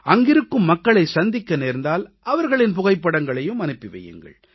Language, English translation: Tamil, If you happen to meet people there, send their photos too